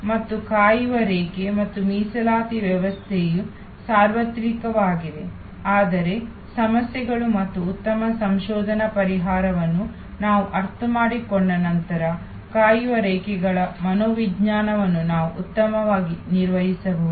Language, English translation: Kannada, And waiting line and reservations system are universal, but we can manage the psychology of the waiting lines better once we understand the problems and good research solution, that are already available